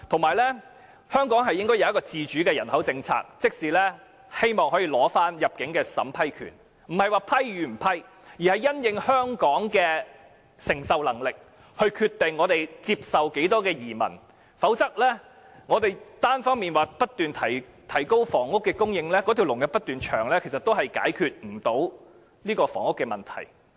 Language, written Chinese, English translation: Cantonese, 再者，香港應該訂立自主的人口政策，收回單程證審批權，這不是批或不批的問題，而是因應香港的承受能力來決定接受多少移民，否則我們單方面不斷提高房屋供應，但輪候人士卻不斷增加，也無法解決房屋問題。, In addition Hong Kong should formulate an independent population policy and take back the power of vetting and approving applications for One - way Permit . We are not talking about whether applications should be approved or rejected but rather the number of immigrants to be accepted in the light of the capacity of Hong Kong . Otherwise even if we make efforts to increase housing supply continuously we will still be unable to resolve the housing problem given the continuous increase of applicants waiting for public housing allocation